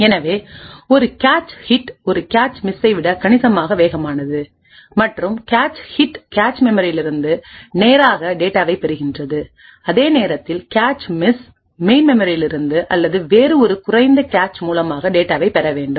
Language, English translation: Tamil, So a cache hit is considerably faster than a cache miss and the reason being that the cache hit fetches data straight from the cache memory while a cache miss would have to fetch data from the main memory or any other lower cache that may be present